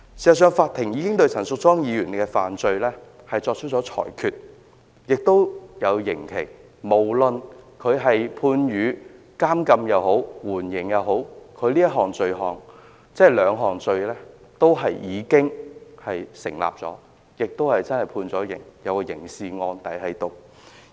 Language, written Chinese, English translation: Cantonese, 事實上，法庭已經對陳淑莊議員的罪行作出裁決，並判下刑期，無論她是被判監禁或緩刑，她這兩項罪也是成立的，而且真的已經被判刑，有刑事案底。, As a matter fact a ruling has been given by the court on the crimes committed by Ms Tanya CHAN and a sentence has been imposed . It is a fact that she has been convicted of the two offences charged and sentenced to imprisonment and although the terms are suspended she does have criminal records